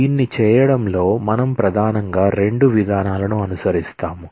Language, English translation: Telugu, So, we primarily follow two approaches in doing this